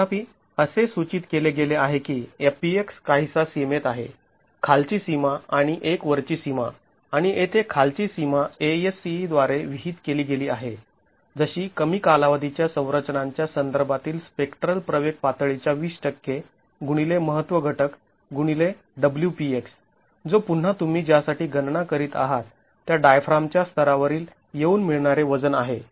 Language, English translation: Marathi, However, it is prescribed that FPX is within certain bounds, a lower bound and then upper bound and here the lower bound is prescribed by ASC as 20% of the spectral acceleration level corresponding to the short period structures into the importance factor into WPX which is again the tributary weight at the level X of the diaphragm that you are making calculations for